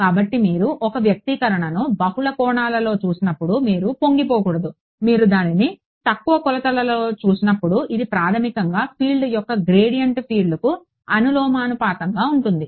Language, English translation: Telugu, So, do not get I mean you should not get overwhelmed when you see an expression in multiple dimensions, when you look at it in lower dimensions this is basically what it is gradient of field is proportional to the field itself